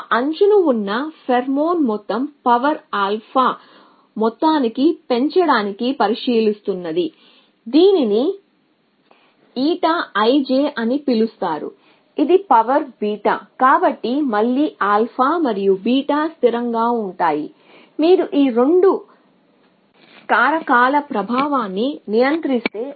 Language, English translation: Telugu, The amount of pheromone on that edge that it is considering raise to sum power alpha multiply it by a factor which is called eta i j is to power beta, so again alpha and beta to constant, if you control the influence of these 2 factors